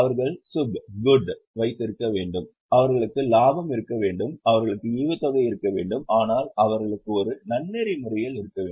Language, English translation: Tamil, They should have lab, they should have profits, they should have remuneration, they should have dividends but in a ethical manner